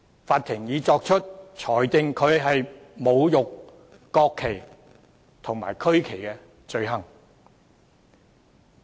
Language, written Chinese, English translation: Cantonese, 法庭已裁定他侮辱國旗及區旗罪成。, He had already been found guilty of desecrating the national flag and regional flag by the Court